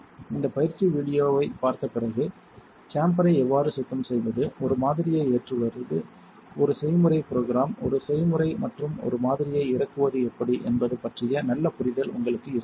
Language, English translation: Tamil, After watching this training video, you should have a pretty good understanding of how to clean the chamber, load a sample run a recipe program, a recipe and unload a sample